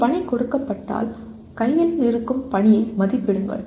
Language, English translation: Tamil, Given a task, assess the task at hand